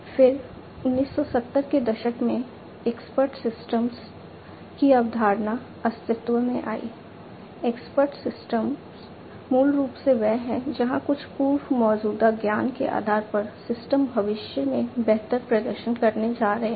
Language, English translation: Hindi, Expert systems are basically the ones where based on certain pre existing knowledge the systems are going to perform better in the future